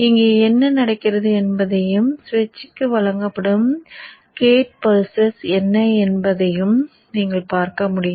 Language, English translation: Tamil, You could also see what happens here and what is the gate pulses which are given to the switch